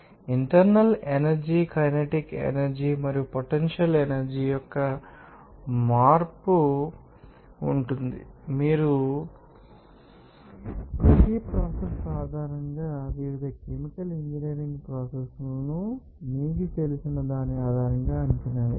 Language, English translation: Telugu, you will see that there will be change of internal energy, kinetic energy and also potential energy and based on who is you know, case to case that different chemical engineering processes to be assessed based on that you know, based on each process you need, how it is being used based on this energy supply